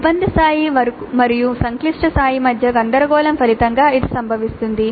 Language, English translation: Telugu, These results from a confusion between difficulty level and complex level